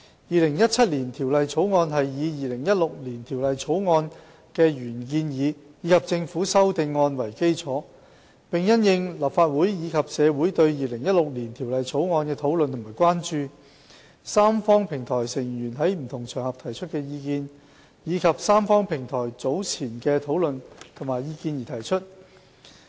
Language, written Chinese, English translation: Cantonese, 《2017年條例草案》是以《2016年條例草案》的原建議及政府修正案為基礎，並因應立法會及社會對《2016年條例草案》的討論和關注、三方平台成員在不同場合提出的意見，以及三方平台早前的討論及意見而提出。, The 2017 Bill is formulated on the basis of the original proposals of the 2016 Bill and the Committee stage amendments proposed by the Government and after taking into account the discussions and concerns of the Legislative Council and the community on the 2016 Bill the views expressed by members of the tripartite platform on various occasions and the earlier deliberations and views raised at the tripartite platform